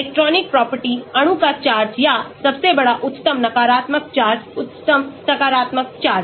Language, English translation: Hindi, , electronic property , so charge of the molecule or largest; highest negative charge, highest positive charge